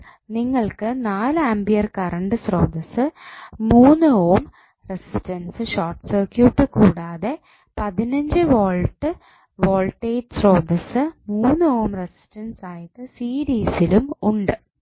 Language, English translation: Malayalam, So, you have just simply 4 ampere current source 3 ohm resistance short circuit and this 15 volt voltage source in series with 3 ohm resistance